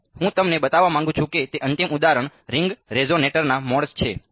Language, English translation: Gujarati, Then the final example I want to show you is modes of ring resonator ok